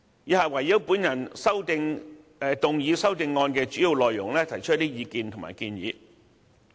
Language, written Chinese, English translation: Cantonese, 以下我會就所提出修正案的主要內容，提出一些意見和建議。, The following are some of my views and recommendations in relation to the major contents of my amendment